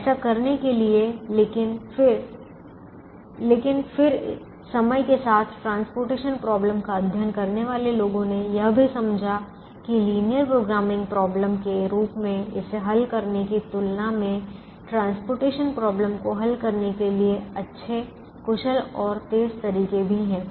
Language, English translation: Hindi, it's a little easier to do that, but then over a period of time, people who have studied the transportation problem also understood that there are good, efficient and faster ways to solve the transportation problem than solving it as a linear programming problem